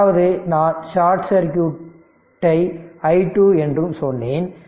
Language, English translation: Tamil, That means I told you also i short circuit is equal to i 2 is equal to 2